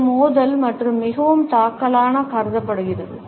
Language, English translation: Tamil, It is considered to be confrontational and highly offensive